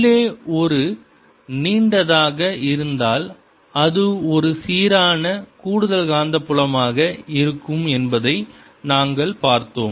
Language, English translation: Tamil, we just saw that inside, if it is a long one, its going to be a uniform additional magnetic field